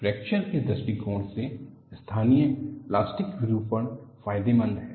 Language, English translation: Hindi, From fracture point of view, the local plastic deformation is beneficial